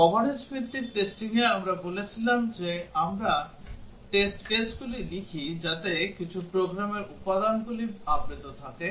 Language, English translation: Bengali, In coverage based testing, we said that we write the test cases such that some program elements are covered